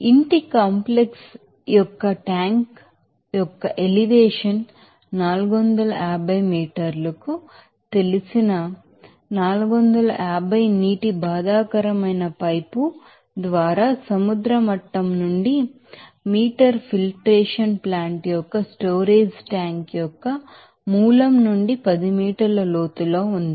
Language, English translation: Telugu, The elevation of the tank of house complex is 450 you know meter from sea level by water distressed pipe is located at a depth of 10 meter from the source of the storage tank of filtration plant